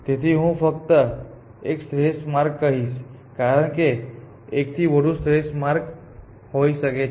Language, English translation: Gujarati, So, I will just say an optimal path, because a could be more than one optimal paths